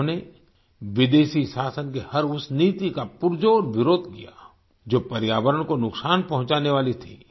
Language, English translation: Hindi, He strongly opposed every such policy of foreign rule, which was detrimental for the environment